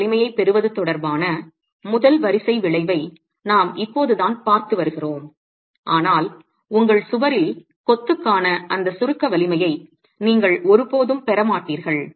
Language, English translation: Tamil, We've just been looking at a first order effect as far as arriving at the compressive strength is concerned, but you will never get that compressive strength of masonry in your wall